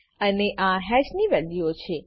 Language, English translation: Gujarati, And these are the values of hash